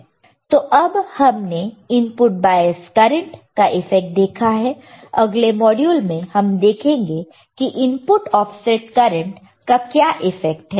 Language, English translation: Hindi, So, right now what we have seen effect of input bias current next module let us see what is the effect of input offset current